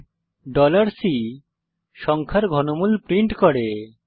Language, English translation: Bengali, print $C prints cube root of a number